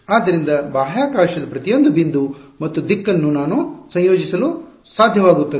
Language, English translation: Kannada, So, I am able to associate at each point in space, a direction ok